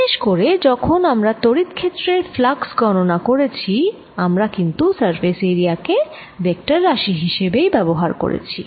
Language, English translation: Bengali, particularly when we saw that we are calculating flux of electric field, then we used surface area as a vector quantity